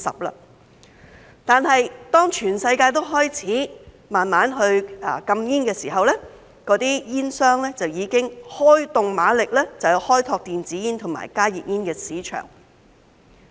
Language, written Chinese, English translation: Cantonese, 不過，當全世界都開始逐步禁煙的時候，那些煙商就已經開動馬力，開拓電子煙及加熱煙的市場。, Yet when places around the world have begun to gradually ban smoking tobacco companies have already started making strenuous efforts to open up the market for electronic cigarettes and heated tobacco products HTPs